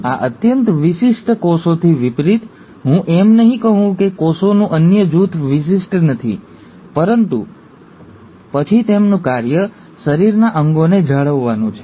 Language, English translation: Gujarati, In contrast to these highly specialized cells, I won't say the other group of cells are not specialized, but then their function is to maintain the body parts